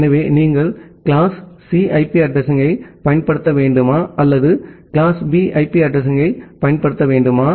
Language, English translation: Tamil, So, whether you should use a class C IP address or you should use a class B IP address